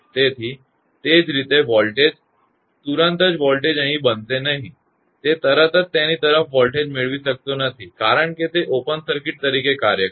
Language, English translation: Gujarati, So, similarly voltage, immediately voltage will not be build up here; it cannot get voltage immediately across it because it will act as open circuit